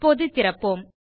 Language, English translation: Tamil, Now let us open